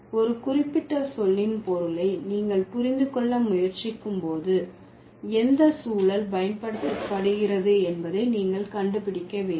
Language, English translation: Tamil, So, when you are trying to understand the meaning of a particular term, you have to find out which context has it been used or has it been used